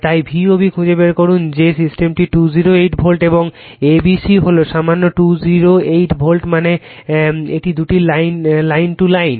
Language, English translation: Bengali, So, find V O B given that the system is 208 volt and A B C is equal 208 volt means it is line to line right